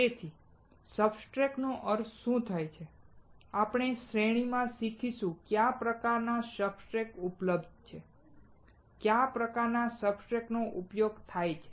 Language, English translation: Gujarati, So, what exactly does a substrate means; we will learn in the series; what are the kind of substrates that are available, what are the kind of substrates that are used